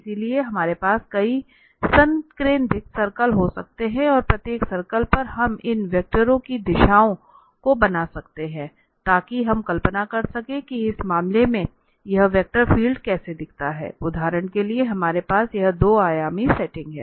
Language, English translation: Hindi, So, we can have several concentric circles and on each circle we can draw the directions of these vectors so we can visualize that how this vector field looks like in this case, for instance, we have this 2 dimensional setting